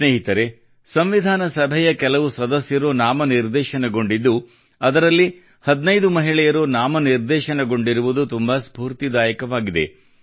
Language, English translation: Kannada, Friends, it's again inspiring that out of the same members of the Constituent Assembly who were nominated, 15 were Women